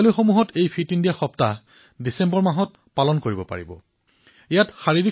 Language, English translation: Assamese, Schools can celebrate 'Fit India week' anytime during the month of December